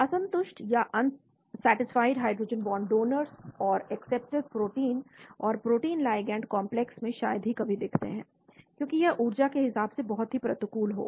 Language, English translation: Hindi, Unsatisfied hydrogen bond donors and acceptors are rarely seen in proteins and protein ligand complexes , because this would be highly energetically unfavourable